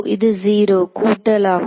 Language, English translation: Tamil, So, it will be 0 plus